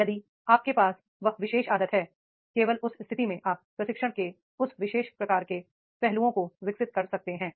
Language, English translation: Hindi, If you have that particular habit only in that case you can develop that particular type of the aspects of the training is there